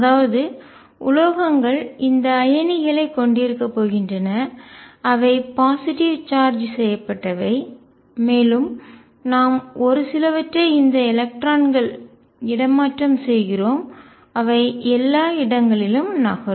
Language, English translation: Tamil, So, metals are going to have these irons which are positively charged that we make a few and these electrons which are delocalized moving all around